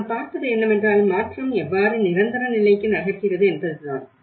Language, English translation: Tamil, But what we are seeing is the, how the from the transition onwards, how it moves on to the permanency